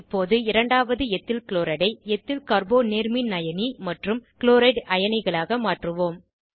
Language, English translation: Tamil, Now, lets convert second EthylChloride to Ethyl Carbo cation and Chloride ions